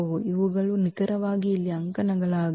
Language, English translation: Kannada, These are the precisely the columns here